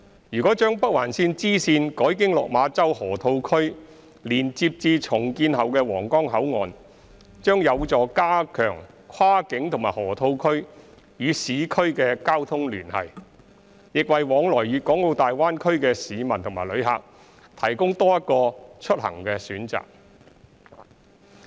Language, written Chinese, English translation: Cantonese, 如將北環綫支綫改經落馬洲河套區連接至重建後的皇崗口岸，將有助加強跨境和河套區與市區的交通聯繫，亦為往來粵港澳大灣區的市民及旅客提供多一個出行的選擇。, If the bifurcation of the Northern Link is linked up with the Huanggang Port via the Lok Ma Chau Loop then it will strengthen the connectivity among downtown areas cross - boundary control points and the Lok Ma Chau Loop . Besides it will also provide another transport option for the public and visitors travelling to and from the Guangdong - Hong Kong - Macao Greater Bay Area